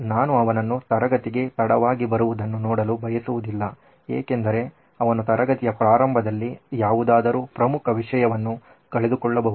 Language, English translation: Kannada, I don’t want to see him late because he may be missing something important at the start of the class